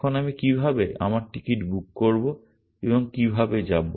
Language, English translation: Bengali, Now, how do I book my ticket and how do I go from